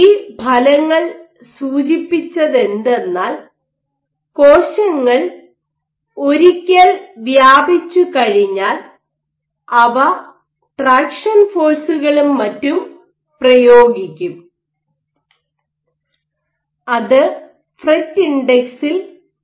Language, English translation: Malayalam, So, you know that once the cells spread out, they will exert traction forces and so on and so forth, that should lead to a decrease in the fret index